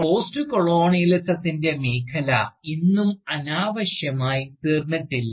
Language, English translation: Malayalam, The field of Postcolonialism, even today, has not become redundant